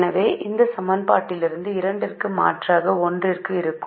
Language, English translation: Tamil, so we substitute for x two from this equation